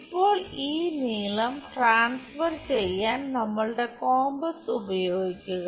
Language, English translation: Malayalam, Now, use our compass to transfer this length